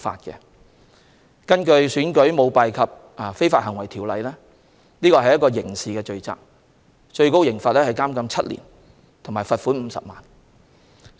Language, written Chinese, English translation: Cantonese, 根據《選舉條例》，這些都屬刑事罪行，最高刑罰是監禁7年和罰款50萬元。, Under the Elections Ordinance a person who engages in such conduct commits an offence and is liable on conviction to a fine of 500,000 and to imprisonment for seven years